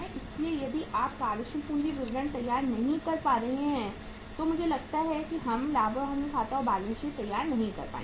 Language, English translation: Hindi, So uh if you are not preparing the working capital statement I think we would not be able to prepare the profit and loss account and balance sheet